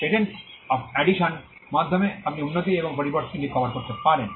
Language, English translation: Bengali, So, the patent of addition, allows you to cover improvements in modifications